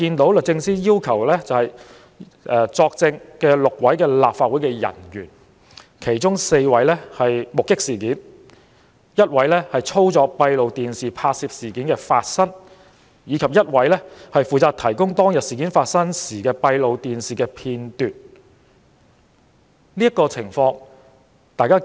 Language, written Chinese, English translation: Cantonese, 被律政司要求作證的6名立法會人員，其中4名目擊事件發生，一名負責操作閉路電視拍攝事件發生，以及另一名負責提供當日事件發生時的閉路電視片段。, Among the six officers of the Council requested by the Department of Justice to give evidence four witnessed the incident one was responsible for operating the CCTV cameras capturing the course of the incident and the other one was responsible for providing the CCTV footage of the incident which happened on that day